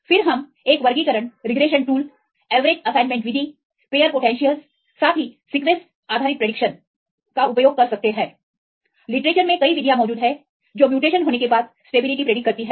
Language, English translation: Hindi, Then we can use a classification regression tool, the average assignment method, pair potentials, as well as sequence based prediction, is corralling the literature several methods are available for predict the stability change of upon mutation